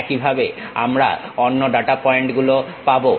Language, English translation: Bengali, For example, we have these data points